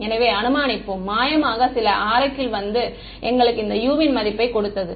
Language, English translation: Tamil, So, let us assume magically some oracle has come and given us this value of U